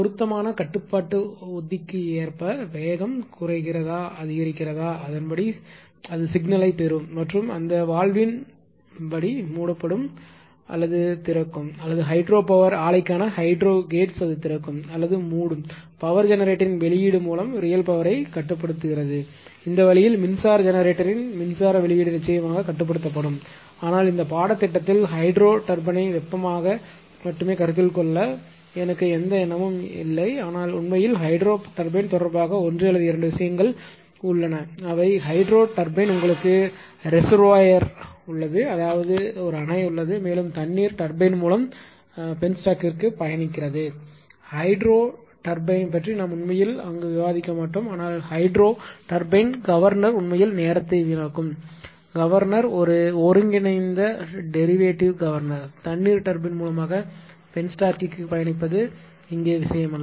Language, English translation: Tamil, In the accordance with the suitable control strategy because whether speed is decreasing increasing according to that it will receive the signal and according to that valve will be closing or opening or hydro gates for hydropower plant it will open or close right which intellectually controls the real power output of the electric generator, this way electric ah output of electric generator will be controlled course, but in this course I have no interesting to consider the hydro turbine right only thermal one, we will consider, but one or two things regarding hydro turbine actually in hydro turbine that you have a reservoir right you have a dam you have a reservoir and basically water ah your traveling to the penstock to the turbine